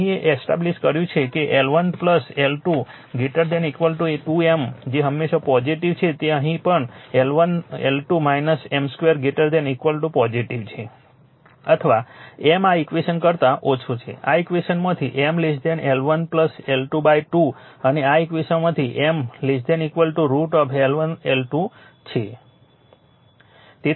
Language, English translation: Gujarati, Here you have established that L 1 plus L 2 greater than 2 M that is always positive here also for making positive L 1 minus L 2 L 1 L 2 minus M square greater than 0 greater than equal to 0 or M less than from this equation from this equation M less than equal to L 1 plus L 2 by 2 and from this equation M less than your equal to root over your L 1 L 2 right